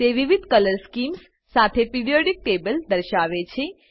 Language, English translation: Gujarati, It shows Periodic table with different Color schemes